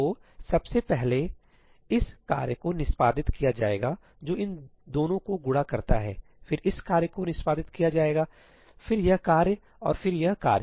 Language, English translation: Hindi, So, at first this task will get executed which multiplies these two, then this task will get executed, then this task and then this task